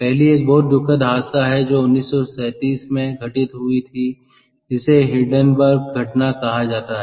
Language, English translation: Hindi, the first one is some is called its a very tragic accident called hindenburg incident in nineteen, thirty seven